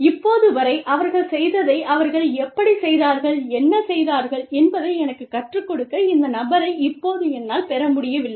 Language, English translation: Tamil, Now, I have not been able to, get this person to teach me, how they have done, what they have done, till now